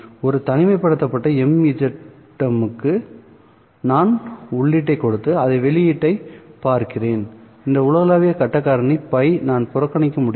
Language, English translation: Tamil, For an isolated mzm that I have, which I am giving the input and looking at the output, this global phase factor I can ignore